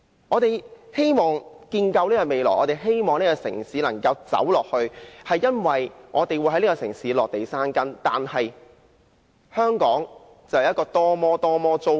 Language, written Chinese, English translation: Cantonese, 我們希望建構未來，希望這個城市能夠走下去，是因為我們會在這個城市落地生根，但是，香港的房屋政策是多麼糟糕。, We hope to build our future and we hope that this city can continue to develop because we want to settle down in this city . Yet the housing policy of Hong Kong is so disappointing